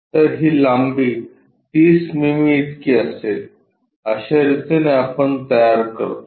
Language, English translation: Marathi, So, this length will be 30 mm this is the way we construct